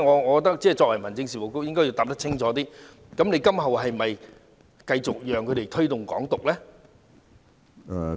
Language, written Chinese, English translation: Cantonese, 我認為民政事務局局長應該清楚回答，今後是否讓他們繼續推動"港獨"呢？, I think the Secretary for Home Affairs should give a clear answer as to whether or not they are allowed to promote Hong Kong independence?